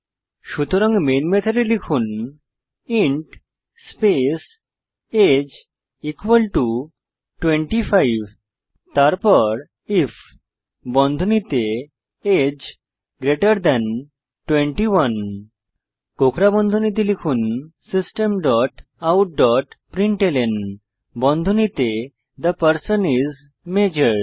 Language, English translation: Bengali, So inside the Main method type int age is equal to 25 then if within brackets age greater than 21, within curly brackets type System dot out dot println within brackets The person is Major